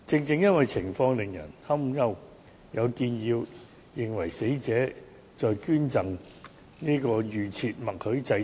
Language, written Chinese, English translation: Cantonese, 正因為情況使人擔憂，有人建議應為死者器官捐贈設立預設默許制度。, Just because the situation is worrying some people suggest that a opt - out system should be put in place for cadaveric donation